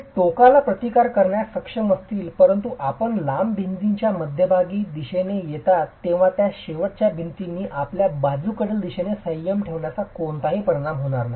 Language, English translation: Marathi, They may be able to provide resistance at the ends, but as you come towards the midspan of the long walls, you do not have any effect of restraint in the lateral direction by these end walls